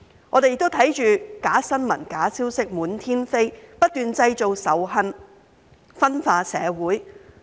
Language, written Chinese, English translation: Cantonese, 我們亦看到假新聞、假消息滿天飛，不斷製造仇恨，分化社會。, We have also seen fake news and false information flying around creating hatred and dividing society